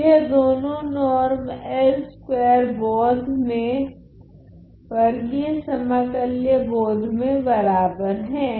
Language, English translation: Hindi, So, these two norms are equal in the l 2 sense in the square integrable sense ok